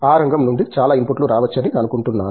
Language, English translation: Telugu, Think lot of inputs can come from that area